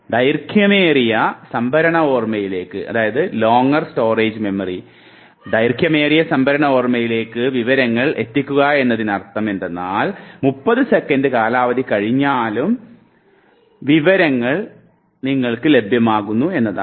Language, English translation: Malayalam, Pushing information towards longer storage memory means that the information will now be available to you even after the lapse of 30 seconds duration